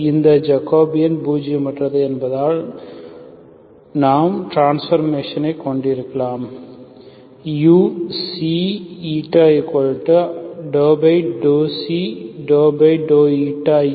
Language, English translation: Tamil, Since this Jacobian is nonzero, we can have the transformation